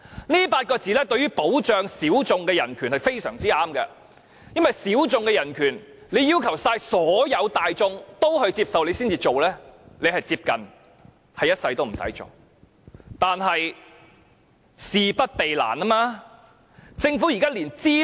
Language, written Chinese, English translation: Cantonese, 這8個大字對於保障小眾人權便是相當合適的，因為如果要所有大眾也接受，才會實行保障小眾人權，便是接近一輩子也不用做的。, These words can be aptly applied to the case of protecting minority rights . The reason is that if the protection of minority rights is to be implemented only when all in society accept it then no such protection will probably be forthcoming at all